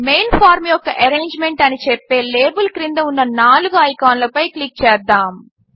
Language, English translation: Telugu, Let us click on the four icons below the label that says Arrangement of the Main form